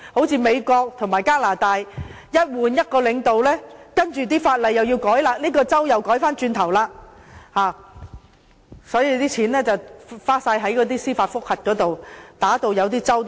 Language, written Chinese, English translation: Cantonese, 正如美國和加拿大，一旦更換領導，便要修改法例，例如這個州又要改回原來的樣子，於是錢便全部花在司法覆核上，一些州份打官司也打到窮。, As in the case of the United States or Canada with a change of leadership legislative amendments will have to be made and for instance in a certain State things have to go back to square one and at the end of the day all the money has to be spent on judicial review . Some States have become broke from their involvement in legal proceedings